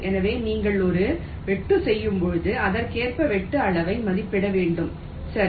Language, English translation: Tamil, so when you make a cut, you will have to estimate the cut size accordingly, right